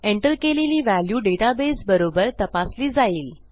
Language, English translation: Marathi, The entered values will be checked against a database